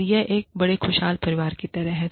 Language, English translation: Hindi, And, it is like, this one big happy family